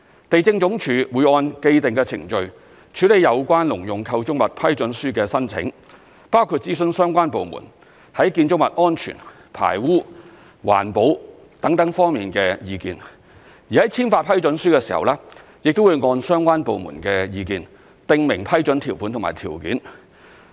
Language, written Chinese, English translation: Cantonese, 地政總署會按既定程序，處理有關農用構築物批准書的申請，包括諮詢相關部門在建築物安全、排污、環保等方面的意見，而在簽發批准書的時候，亦會按相關部門的意見訂明批准條款及條件。, LandsD will then process the applications for a Letter of Approval for Agricultural Structures under established procedures . In the process LandsD will consult relevant government departments in respect of building safety sewage discharge environmental protection etc and prescribe the terms and conditions of the Letter of Approval based on the comments received from the departments